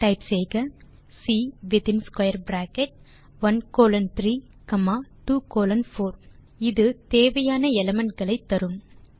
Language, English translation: Tamil, Type the command C within square bracket 1 colon 3 comma 2 colon 4 will give us the required elements